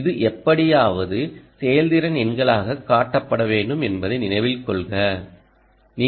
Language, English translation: Tamil, this should somehow show up as efficiency numbers